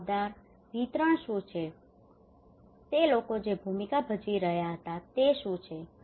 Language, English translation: Gujarati, Accountable, what is the distribution what are the roles people are playing